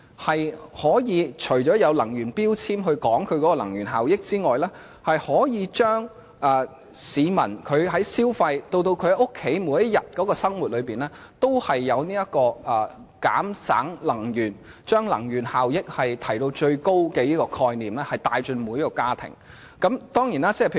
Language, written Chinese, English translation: Cantonese, 政府除了要求以能源標籤說明家電的能源效益外，亦應鼓勵市民在消費以至家居日常生活的層面節省能源，從而將提高能源效益的觀念帶進每個家庭。, The Government apart from requiring traders to indicate the energy efficiency of home appliances in energy labels should encourage members of the public to conserve energy in every aspect of their daily life including consumption in order to bring the idea of energy efficiency to every family